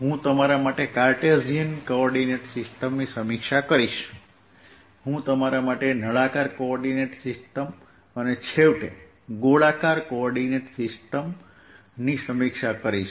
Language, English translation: Gujarati, i am going to review for you cartesian coordinate system, i am going to use for review for you the cylindrical coordinate system and finally the spherical coordinate system